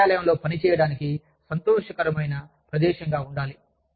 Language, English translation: Telugu, But, the office needs to be, a happy place, to work in